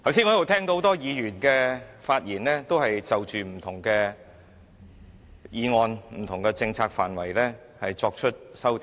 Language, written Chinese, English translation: Cantonese, 我剛才聽到很多議員就不同的政策範圍作出修訂。, I have heard many Members put forward various amendments concerning different policy areas just now